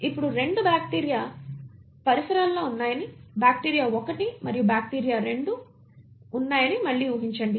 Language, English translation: Telugu, Now assume again that you have 2 bacteria living in neighbourhood, bacteria 1 and bacteria 2